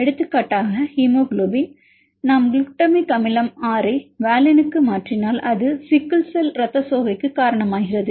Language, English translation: Tamil, For example, the hemoglobin if we mutated to glutamic acid 6 to valine it causes sickle cell anemia